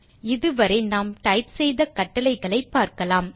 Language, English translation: Tamil, Let us look at the commands that we have typed in